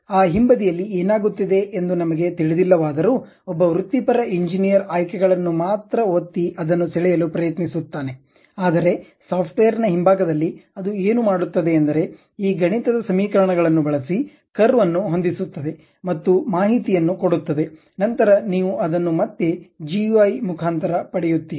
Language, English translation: Kannada, Though, we do not know what is happening at that backend, because a professional engineer will be in a position to only click the options try to draw that, but at back end of the software what it does is it uses this mathematical functions try to fit the curve and get the information, then that you will again get it in terms of GUI